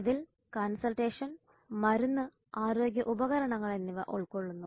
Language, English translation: Malayalam, It covers consultation, medicine and health equipment